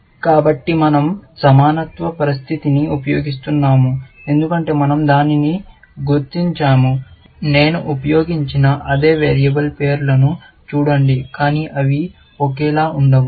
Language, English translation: Telugu, So, we are using the equality condition, because we are just identifying that; see the variable names I have used the same, but they do not have be the same